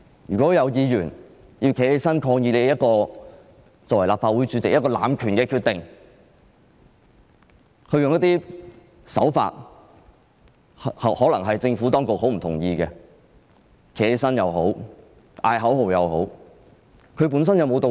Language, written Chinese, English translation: Cantonese, 如果有議員站起來抗議立法會主席的濫權決定，用一些可能是政府當局很不認同的手法——無論是站起來或叫喊口號——本身有沒有道理？, When some Members stood up to protest against the decisions made by the President of the Legislative Council through abusing power and they used certain tactics that the Administration might not agree with ie . they stood up or shouted slogans were there any reasons?